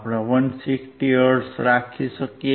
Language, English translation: Gujarati, 15 hertz, 160 hertz